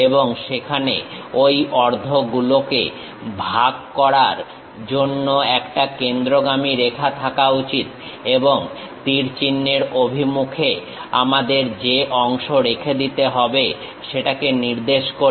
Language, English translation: Bengali, And, there should be a center line dividing that halves and arrow direction represents our retaining portion